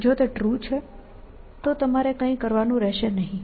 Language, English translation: Gujarati, If it is true, then you do not have to do anything